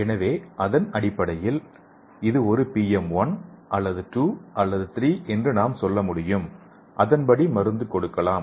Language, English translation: Tamil, So based on that we can tell like if it is a BM1 or 2 or 3 and we can give drug according to that